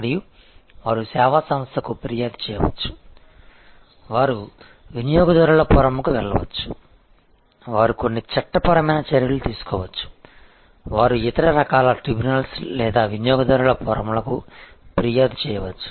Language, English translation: Telugu, And which is that, they can complaint to the service organization, they can go to consumer forum, they can take some legal action, they can complaint to other kinds of tribunals or consumer forum and so on